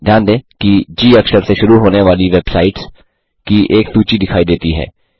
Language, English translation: Hindi, * Notice that a list of the websites that begin with G are displayed